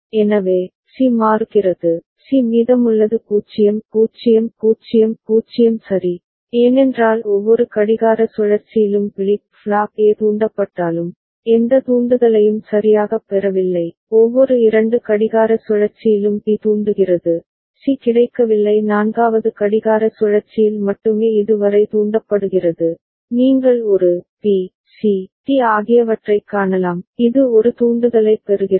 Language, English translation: Tamil, So, C is changing, C is remaining 0 0 0 0 ok, because it does not get any trigger right though flip flop A has got triggered in every clock cycle, B has got trigger in every two clock cycle, C has not got triggered up to this only in the fourth clock cycle, you can see a, b, c, d right, it is getting a trigger ok